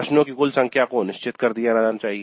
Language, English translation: Hindi, The total number of questions must be finalized